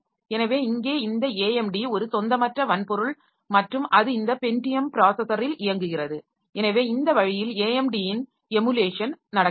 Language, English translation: Tamil, So, here this AMD is a non native hardware and it is running on the pay on this Pentium processor